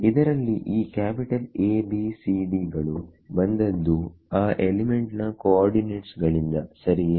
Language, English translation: Kannada, Where these capital A B C D they come from the coordinates of the element right